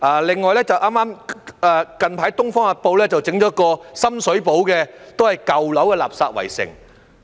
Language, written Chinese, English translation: Cantonese, 另外，最近《東方日報》報道了一個深水埗舊樓的垃圾圍城。, In addition the Oriental Daily News has recently reported another case of garbage siege in an old building in Sham Shui Po